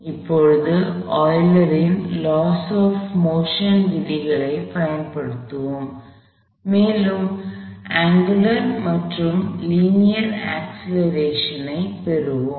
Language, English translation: Tamil, So, let us now do will apply Euler's laws of motion, and get the angular as well as linear acceleration, I am going to replace